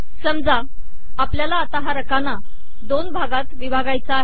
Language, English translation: Marathi, Suppose that we want to split the columns in two